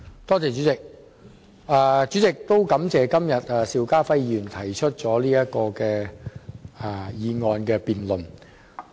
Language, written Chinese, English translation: Cantonese, 代理主席，我感謝邵家輝議員提出"拉動內需擴大客源"的議案。, Deputy President I thank Mr SHIU Ka - fai for moving this motion on Stimulating internal demand and opening up new visitor sources